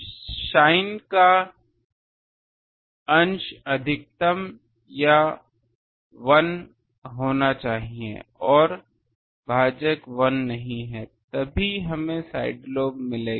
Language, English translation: Hindi, The numerators sin function should be maximum or 1 and denominator is not 1 then only we will get a side lobe